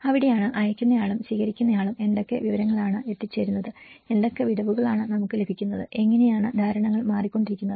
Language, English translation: Malayalam, And that is where what the sender and the receiver and what kind of information has been reaching and what is the gaps we are getting and how the perceptions keep changing